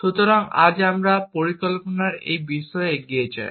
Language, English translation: Bengali, So, today we move on to this topic on planning